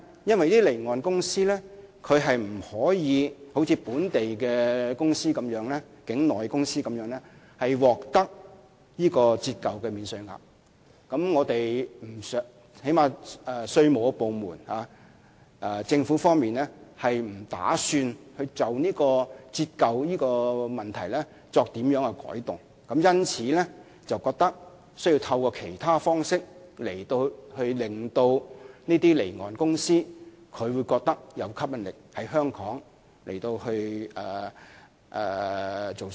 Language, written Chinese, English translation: Cantonese, 因為該等公司不可像從事境內飛機租賃活動的公司般享有折舊的免稅額，而政府部門不打算就折舊的問題作出改動，因此，政府認為需要透過其他方式，吸引該等公司在香港經營飛機租賃業務。, This is because such organizations unlike companies engaged in onshore aircraft leasing activities are not entitled to the depreciation allowance and the government departments do not intend to make any changes to the depreciation arrangement . Hence the Government thinks that it is necessary to work through another channel in order to attract such companies to operate aircraft leasing business in Hong Kong